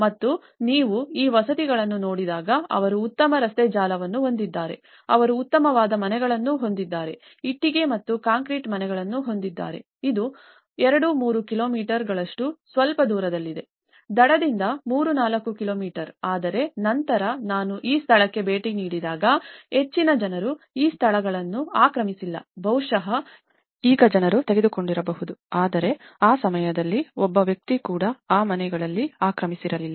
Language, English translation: Kannada, And when you look at this housing, they have a very good road network, they have very good houses, brick and concrete houses, this is slightly far away like 2, 3 kilometres; 3, 4 kilometers from the shore but then at least when I visited this place not many people have occupied this places, maybe now people might have taken but at that point of time not even a single person have occupied these houses